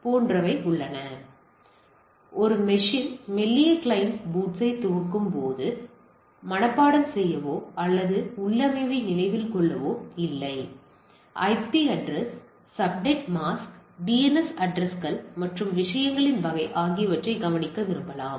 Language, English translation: Tamil, So, when a system boots thin client boots which do not have the memory of memorizing the or remembering its configuration may wants to note that IP address, subnet mask, DNS addresses and type of things